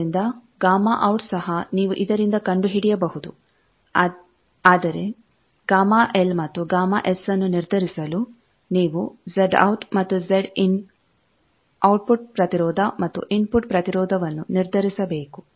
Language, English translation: Kannada, So, gamma out also you can find from this, but to determine gamma L and gamma S you need to determine Z out and Z in output impedance and input impedance